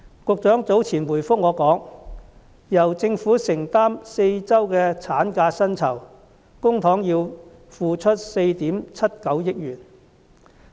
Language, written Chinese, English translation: Cantonese, 局長早前回覆我時表示，由政府承擔4周產假的薪酬，公帑要付出4億 7,900 萬元。, In answering my question earlier the Secretary said that the Government would need to take out 479 million from public coffers for the employees wages of the additional four weeks maternity leave